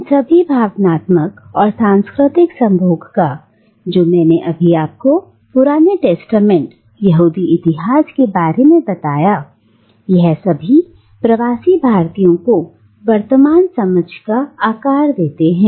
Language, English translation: Hindi, Now, all these emotional and cultural associations that I have just described to you referring back to the Old Testament, to the Jewish history, all of these shape our present understanding of the term diaspora